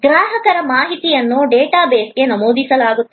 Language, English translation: Kannada, Customer information will be entered into the data base